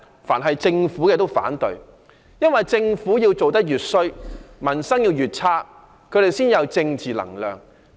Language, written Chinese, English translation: Cantonese, 但凡政府提出的全都反對，因為政府做得越壞，民生越差，他們才有政治能量壯大。, It opposes anything and everything the Government proposes because the worse the Governments performance is and the poorer peoples livelihood the more political power they will garner to beef up themselves